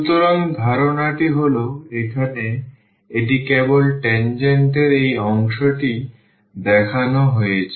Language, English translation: Bengali, So, the idea is that here this is just shown this part of the tangent